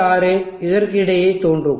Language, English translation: Tamil, 6 will appear across here